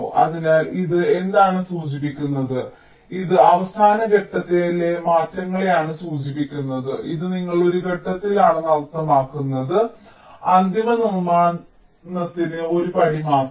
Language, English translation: Malayalam, so what it refers is that this refers to a last minute changes that mean you are in a step which is just one step before the final fabrication